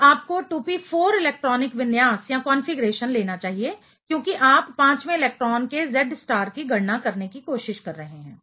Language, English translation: Hindi, So, you should take 2p4 electronic configuration because you are trying to calculate the Z star of the fifth electron